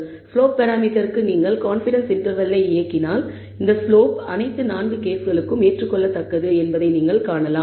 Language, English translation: Tamil, And if you run a confidence interval for the slope parameter, you may end up accepting that this slope is acceptable for all 4 cases